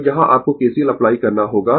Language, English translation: Hindi, So, here you have to apply KCL